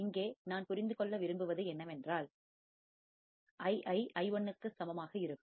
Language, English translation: Tamil, And here if I want to understand then Ii would be equal to I1 right